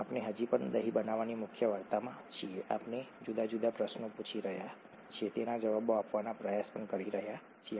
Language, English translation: Gujarati, We are still in the major story of curd making, we are asking different questions and trying to answer them